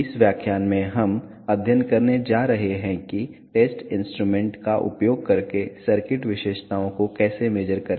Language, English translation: Hindi, In this lecture we are going to study how to measure the circuit characteristics using test instruments